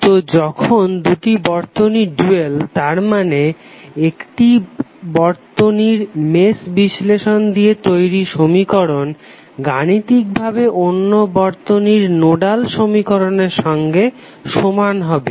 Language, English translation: Bengali, So when two circuits are dual that means the mesh equation that characterize one of them have the same mathematical form as the nodal equation characterize the other one, what does that mean